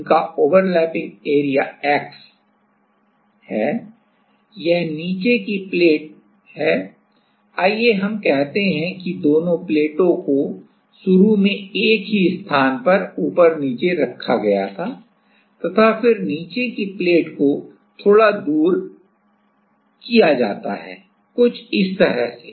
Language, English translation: Hindi, They are they have a overlapping area of x that is the bottom plate let us say both the plates where at the same place initially then the bottom place is moved away little bit so, if so, it is something like this